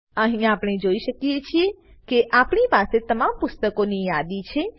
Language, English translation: Gujarati, Here, we can see that we have the list of all the Books